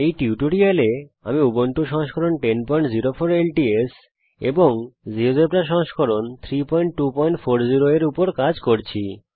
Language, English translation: Bengali, In this tutorial i have worked on Ubuntu version 10.04 LTS and Geogebra version 3.2.40